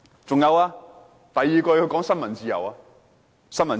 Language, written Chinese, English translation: Cantonese, 此外，她還提及新聞自由。, Moreover she mentioned freedom of the press